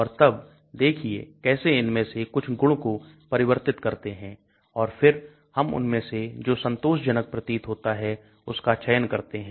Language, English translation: Hindi, And then see how some of these properties change and then we can select molecules which appear to be satisfactory